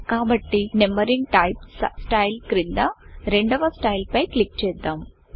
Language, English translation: Telugu, So let us click on the second style under the Numbering type style